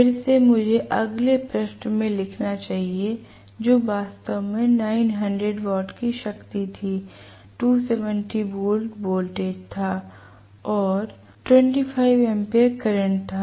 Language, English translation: Hindi, Again let me write down in the next page that was actually 9000 watts was the power, 270 volts was the voltage and 25 amperes was the current